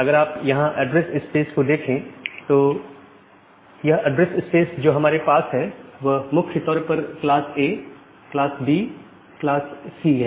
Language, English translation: Hindi, So, this address space we have primarily class A, class B, class C